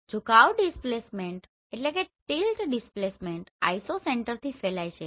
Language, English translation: Gujarati, The tilt displacement radiates from the Isocenter